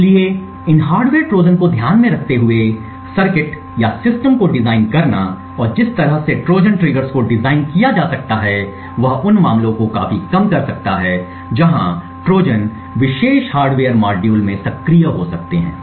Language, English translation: Hindi, So, designing circuits or systems keeping in mind these hardware Trojans and the way a Trojans triggers can be designed could drastically reduce the cases where Trojans can be activated in particular hardware module